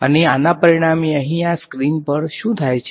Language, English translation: Gujarati, And as a result of this over here on this screen, what happens